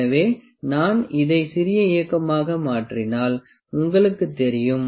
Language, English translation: Tamil, So, you know if I do make it small movement like this